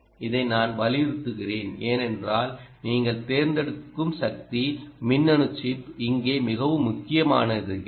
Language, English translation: Tamil, i am stressing this because your choice of power electronic chip become very critical here